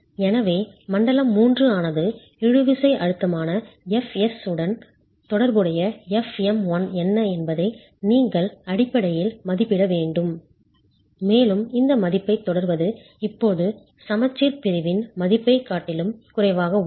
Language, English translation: Tamil, Zone 4 is, so zone 3 you basically have to estimate what is F1 corresponding to the tensile stress f s and continuing this value is now less than the value corresponding to the balance section